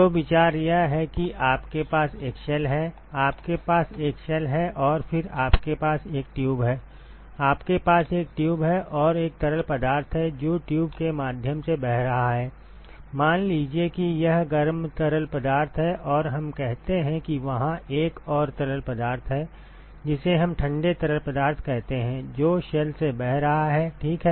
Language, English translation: Hindi, So, the idea is you have a shell, you have a shell and then you have a tube you have a tube and there is one fluid which is flowing through the tube, let us say it is the hot fluid and let us say that there is another fluid which is let us say cold fluid, which is flowing through the shell ok